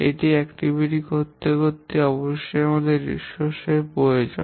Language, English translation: Bengali, To do an activity, we must have a resource requirement